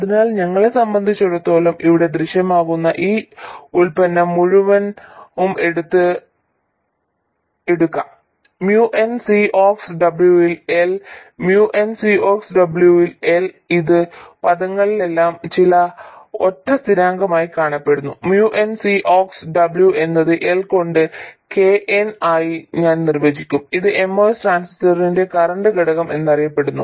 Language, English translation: Malayalam, So as far as we are concerned, we can take this entire product which appears here, muon C Ox W L, which appears in all these expressions as some single constant, mu N C Ox W by L, I will will define that as KN